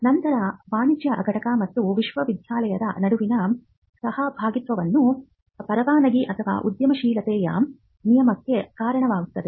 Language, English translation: Kannada, Then the partnership between the commercial entity and the university would lead to some kind of licensing or even some kind of an entrepreneurship rule